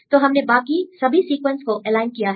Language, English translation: Hindi, So, we aligned all the other sequences